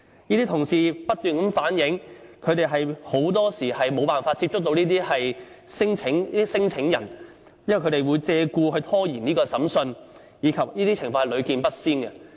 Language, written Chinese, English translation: Cantonese, 這些同事不斷反映，他們很多時候沒有辦法接觸到這類聲請人，因為他們會借故拖延審訊，而這些情況是屢見不鮮。, They keep on telling me that very often they cannot find these claimants as these claimants would try every means to delay the trials . It is a common occurrence